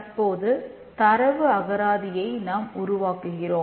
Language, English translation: Tamil, We then need to do the data dictionary